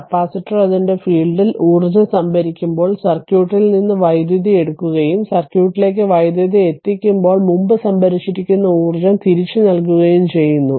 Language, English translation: Malayalam, Capacitor takes power from the circuit when storing energy in its field right and returns previously stored energy when delivering power to the circuit right